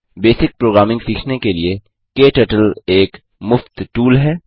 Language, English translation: Hindi, KTurtle is a free tool to learn basic programming